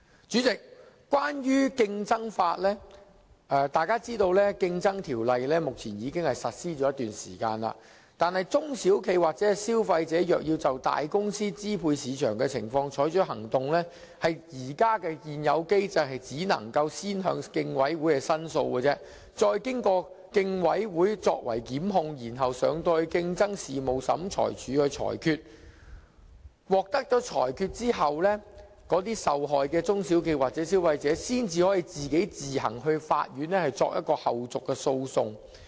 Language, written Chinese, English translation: Cantonese, 主席，關於競爭法，大家皆知道《競爭條例》已實施一段時間，但如果中小型企業或消費者要就大公司支配市場的情況採取行動，在現有機制下只能先向競爭事務委員會申訴，再經由競委會作出檢控，然後提交競爭事務審裁處裁決，在獲得裁決後，受害的中小企或消費者才可自行到法院作後續訴訟。, President speaking of the competition law Members are aware that the Competition Ordinance has been enforced for quite some time . But under the existing mechanism a small and medium enterprise SME or consumer intending to take action against a large consortia on the ground of market dominance can only lodge a complaint with the Competition Commission as the very first step . Afterwards the Commission may initiate prosecution and bring the case before the Competition Tribunal for adjudication